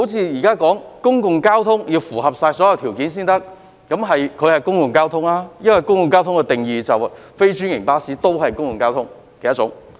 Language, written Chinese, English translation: Cantonese, 現在說公共交通必須符合所有條件才可以參加有關計劃，而邨巴是公共交通，因為按公共交通的定義，非專營巴士都是公共交通的一種。, It is now said that all the conditions must be met before any public transport can join the relevant scheme . Residents bus is a type of public transport because according to the definition of public transport non - franchised bus is also a type of public transport